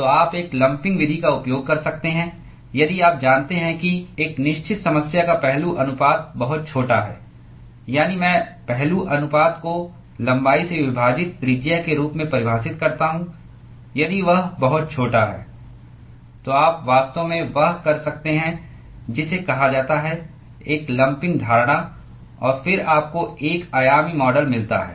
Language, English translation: Hindi, So, you can use a lumping method if you know that the aspect ratio of a certain problem is very very small that is I define aspect ratio as the radius divided by the length if that is very very small then you could actually do what is called a lumping assumption and then you get a 1 Dimensional model